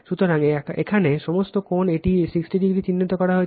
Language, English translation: Bengali, So, so all angle here it is 60 degree is marked